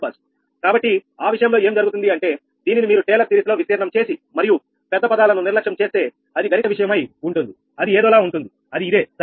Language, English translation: Telugu, that if you expand this thing and neglect higher terms in taylor series, then you are mathematical thing will be something like this, right